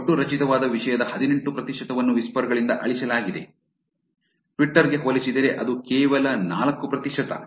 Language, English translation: Kannada, 18 percent of the total generated content was deleted from whisper where as compared to twitter, which is only 4 percent